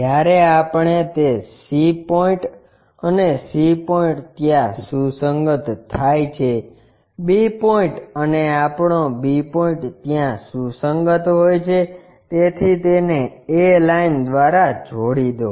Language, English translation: Gujarati, When we do that c point and c point coincides there, b point and our b point coincides there, so join by a line